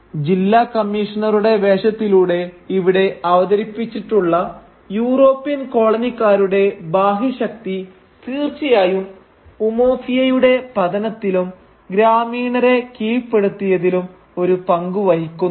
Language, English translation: Malayalam, The external force of the European colonisers represented here through the figure of the District Commissioner definitely plays a role in the downfall of Umuofia and the subjugation of the villagers